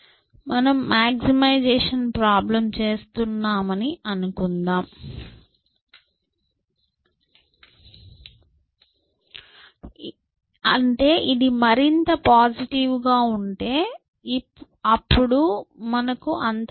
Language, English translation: Telugu, So, let us say I am doing a maximization problem which means, the more positive this is, the better for me